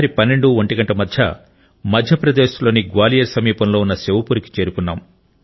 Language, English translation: Telugu, Past midnight, around 12 or 1, we reached Shivpuri, near Gwalior in Madhya Pradesh